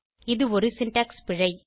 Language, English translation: Tamil, This is a syntax error